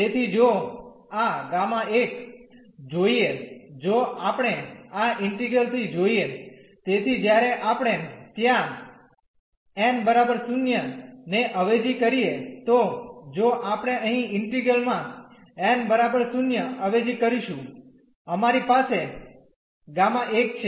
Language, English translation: Gujarati, So, this gamma 1 if we see from this integral so, when we substitute there n is equal to 0 if we substitute here n is equal to 0 in the integral we have gamma 1